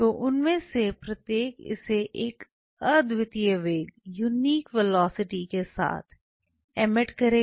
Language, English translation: Hindi, So, each one of them will be emitting it with that unique velocity